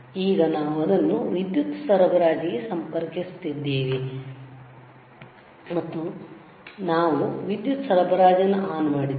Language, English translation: Kannada, Now we are connecting this to the power supply, and we have switch on the power supply